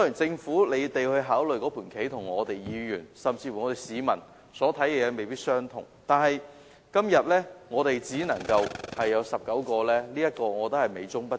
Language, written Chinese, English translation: Cantonese, 政府所考慮的事宜與議員甚至市民所考慮的事宜未必相同，但今天小巴座位只能增至19個，這是美中不足。, The factors considered by the Government may not be the same as those considered by Members and even members of the public but the current increase of the seating capacity of light buses to only 19 is a defect